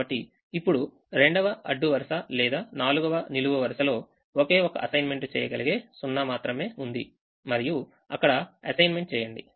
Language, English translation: Telugu, so now the second row or the fourth column has only one assignable zero and make the assignment